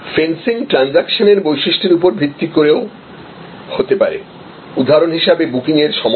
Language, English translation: Bengali, Fencing could be also based on transaction characteristics, for example time of booking